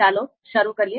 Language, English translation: Gujarati, So let us start